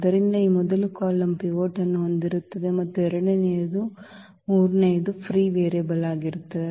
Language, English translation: Kannada, So, this first column will have pivot and the second and the third one will be the free variables